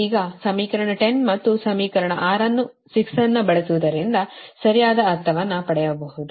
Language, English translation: Kannada, now, using equation ten and six, you will get right